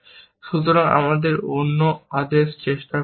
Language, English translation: Bengali, So, let us try the other order